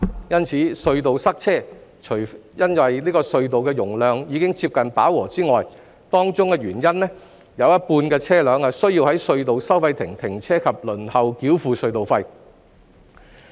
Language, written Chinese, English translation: Cantonese, 因此，隧道塞車，除因隧道的容量已接近飽和外，當中原因是有一半車輛需要在隧道收費亭停車及輪候繳付隧道費。, Therefore traffic congestion at tunnels is not just attributable to the fact that the tunnels have almost reached their capacities . One of the causes is that 50 % of the vehicles need to stop at the toll booths of the tunnels and queue up for toll payment